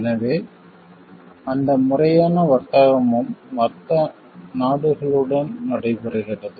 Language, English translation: Tamil, So, that legitimate trade also takes place with the other countries